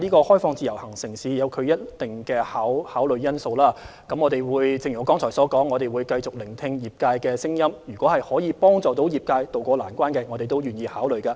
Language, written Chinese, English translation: Cantonese, 開放自由行城市與否涉及一定的考慮因素，正如我剛才所說，我們會繼續聆聽業界的聲音，可以幫助業界渡過難關的建議，我們都願意考慮。, There are a number of factors to consider before opening up IVS cities . As I said earlier we will continue to listen to the voices of the industries and are willing to consider any suggestion which can help the industries overcome their difficulties